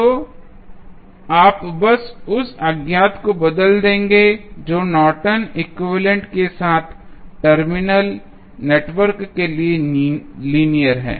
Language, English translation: Hindi, So, you will simply replace the unknown that is linear to terminal network with the Norton's equivalent